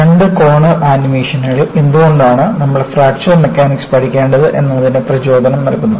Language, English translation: Malayalam, The two corner animations give the motivation, why you need to study Fracture Mechanics